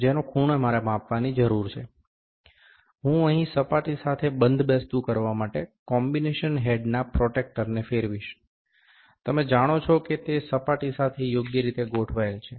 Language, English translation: Gujarati, The angle for which I need to measure, I will rotate this I will rotate the combination or sorry the protractor of the combination head to align with the surface here, you know it is aligned properly with the surface